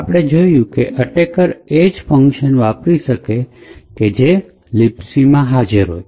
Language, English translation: Gujarati, So, we had seen that the attacker could only invoke all the functions that are present in libc